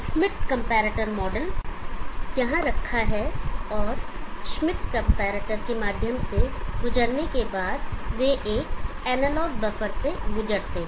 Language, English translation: Hindi, The schmitt comparator model is kept here and after passing through the schmitt comparator they are pass through an analog buffer